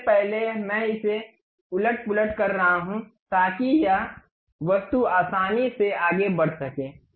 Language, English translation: Hindi, First of all I am undoing it, so that this object can be easily moving